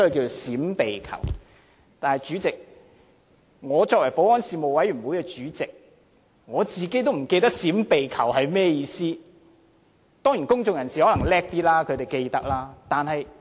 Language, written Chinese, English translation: Cantonese, 但是，主席，我作為保安事務委員會的主席，我自己也會忘記"閃避求"是甚麼意思，當然公眾人士可能較厲害，會記得當中的意思。, President even as Chairman of the Panel on Security I might forget the meaning of the rules Run Hide and Report . Of course the public may be smarter and will remember the meaning of the rules